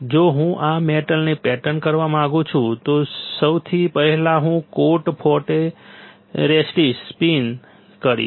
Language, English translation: Gujarati, If I want to pattern this metal then first thing I will do I will spin coat photoresist